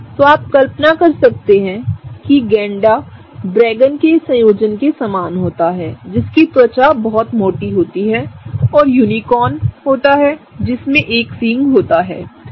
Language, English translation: Hindi, So, you can imagine that rhinos are kind of a combination of dragons which have very thick skin and unicorns which have a horn, right